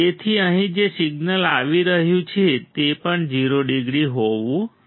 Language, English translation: Gujarati, So, the signal that is coming over here should also be 0 degree